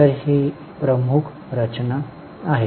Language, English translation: Marathi, So, this is a major structure